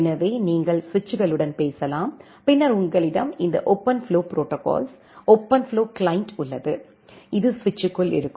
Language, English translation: Tamil, So, that you can talk with the switches and then you have this OpenFlow protocol, OpenFlow client, which is their inside the switch